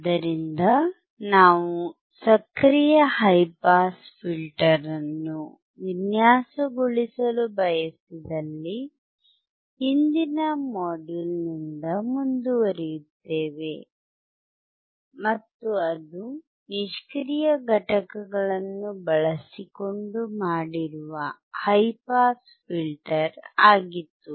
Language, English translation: Kannada, So, let us now see if we want to design, active high pass we continue where we have left in the last module, and that was high pass filter using passive components